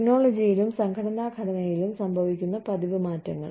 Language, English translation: Malayalam, Frequent changes in technology and organization structure